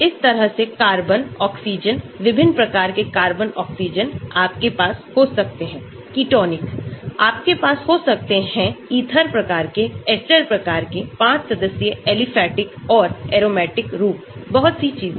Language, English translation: Hindi, Similarly, carbon, oxygen different types of carbon oxygen, you can have ketonic, you can have ether type, ester type inside a 5 membered aliphatic and aromatic form, so many things